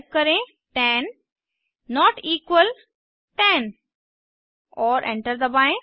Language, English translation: Hindi, Type 10 plus 20 and press Enter